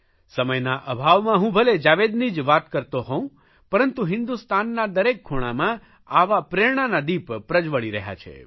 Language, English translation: Gujarati, I am mentioning just the case of Jawed because of lack of time but such lights of inspiration are prevalent in every corner of the country